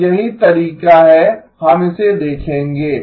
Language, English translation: Hindi, ” So here is the way we would look at it